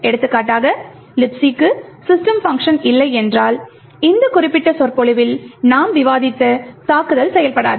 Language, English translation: Tamil, For example, if the LibC does not have a system function, then the attack which we have discussed in this particular lecture will not function